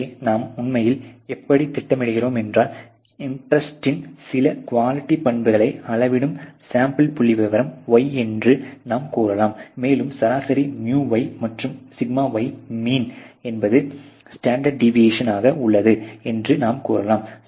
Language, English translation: Tamil, So, how do we really plot, so you have let’s say y which is a sample statistic that measures some quality characteristics of interest, and let us say there is a average µy and the mean σy which is the standard deviation